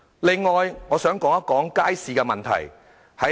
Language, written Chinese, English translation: Cantonese, 此外，我想談談街市的問題。, Next I would like to talk about the problem of markets